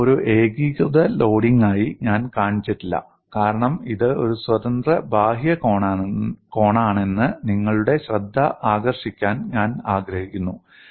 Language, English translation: Malayalam, I have not shown this as a uniform loading because I want to draw your attention that this is a free outward corner